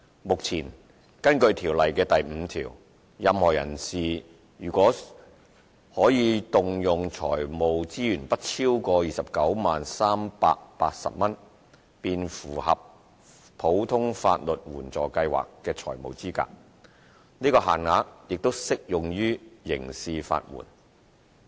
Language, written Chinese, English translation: Cantonese, 目前，根據《條例》第5條，任何人士若其可動用財務資源不超過 290,380 元，便符合普通法律援助計劃的財務資格，此限額亦適用於刑事法援。, At present a person whose financial resources do not exceed 290,380 is financially eligible for legal aid under the Ordinary Legal Aid Scheme OLAS which covers civil proceedings in the District Court or higher courts as set out in section 5 of LAO . The same limit is also applicable to criminal legal aid